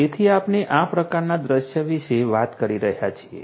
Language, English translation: Gujarati, So, we are talking about this kind of scenario